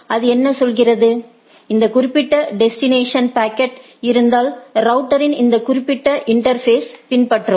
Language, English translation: Tamil, So, what it says, that if the packet is for this particular destination then follow this particular interface of the router right